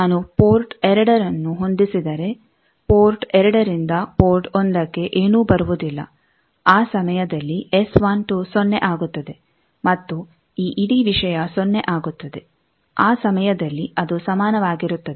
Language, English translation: Kannada, If I matched port 2 nothing comes from port 2 to port 1 that time s12 become 0 and this whole thing become 0 that time it becomes equal